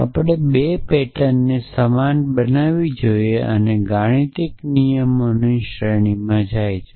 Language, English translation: Gujarati, We should make the 2 patterns same essentially and this algorithm goes to a series of cases